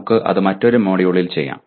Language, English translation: Malayalam, That we may do in another module